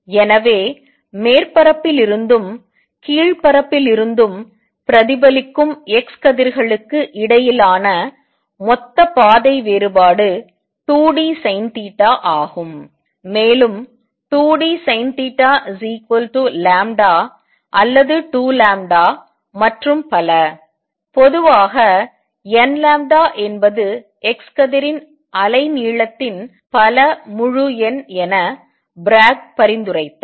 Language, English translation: Tamil, So, total path difference between the x rays reflected from the upper surface and the lower surface is 2 d sin theta, and what Bragg suggested that if 2 d sin theta is equal to lambda or 2 lambda and so on in general n lambda integer multiple of the wavelength of the x ray